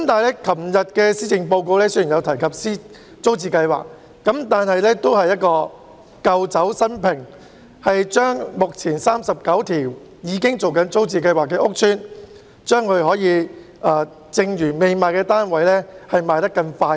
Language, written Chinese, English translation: Cantonese, 昨天的施政報告雖然有提及租置計劃，但也只是舊酒新瓶，只提出加快出售目前39個租置計劃屋邨的未售出單位。, Although the Policy Address delivered yesterday touches on TPS the proposal therein to accelerate the sale of unsold flats in the 39 estates already under TPS is nothing more than old wine in a new bottle